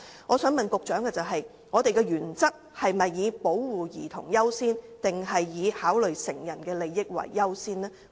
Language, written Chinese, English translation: Cantonese, 我想問局長，究竟我們的原則是以保護兒童為優先，抑或以考慮成人的利益為優先？, I would like to ask the Secretary whether our guiding principle puts protecting children or the interest of adults as the first priority